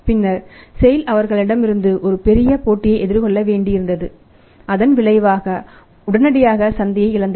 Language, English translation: Tamil, Then sail had to face a big competition from them and as a result of that the immediately lost market